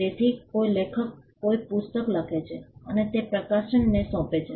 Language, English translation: Gujarati, So, an author writes a book and assign it to the publisher